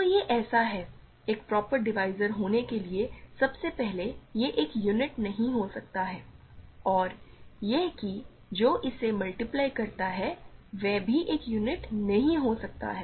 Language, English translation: Hindi, So, this is in so, in order to be a proper divisor first of all it cannot be a unit and it that what it multiplies to cannot also be a unit